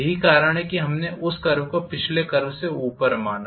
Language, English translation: Hindi, That is the reason why we considered that curve above the previous curve